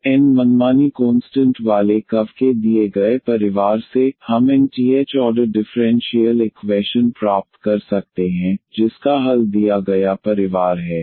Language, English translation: Hindi, So, the from a given family of curves containing n arbitrary constants we can obtain nth order differential equation whose solution is the given family